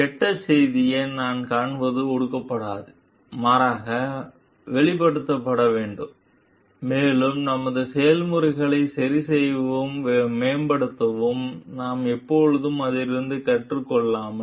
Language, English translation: Tamil, So, what we find bad news will not be repressed rather to be expressed and we can always learn from it to correct and improve on our processes